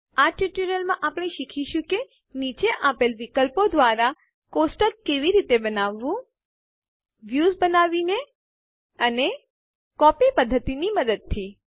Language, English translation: Gujarati, In this tutorial, we will learn how to Create a Table by a) Creating Views and b) Using the Copy method Lets go to our Library database